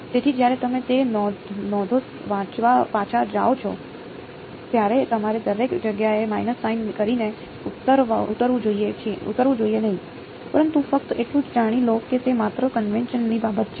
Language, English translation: Gujarati, So, when you go back to reading those notes, you should not get off by minus sign each place ok, but just know that it just a matter of convention